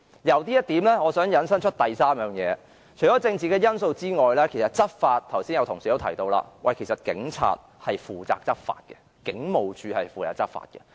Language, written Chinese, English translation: Cantonese, 由此我想引申出第三點，也就是除政治因素之外，剛才已有同事提到，執法方面是由警察負責的，警務處是負責執法的。, From this I wish to move on to the third point . The political factor aside and as colleagues also mentioned earlier law enforcement is the job of the Police as HKPF is tasked to enforce the law